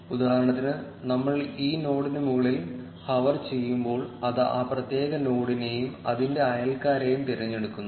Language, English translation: Malayalam, For instance, when we hover over this node it selects the particular node and it is neighbors